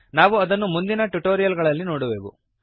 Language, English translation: Kannada, We shall see that in later tutorials